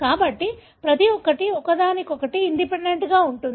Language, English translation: Telugu, So because each one, is independent of each other